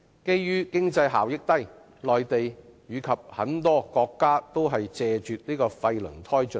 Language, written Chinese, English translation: Cantonese, 由於經濟效益低，內地及很多國家均謝絕廢輪胎進口。, In view of low economic benefits the import of waste tyres is no longer allowed in the Mainland and many countries